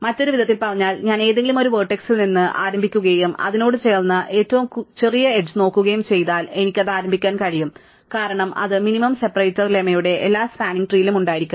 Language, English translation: Malayalam, In other words, if I start at any vertex and look at the smallest edge attached to it, I can start with that because that must be in every spanning tree by the minimum separator lemma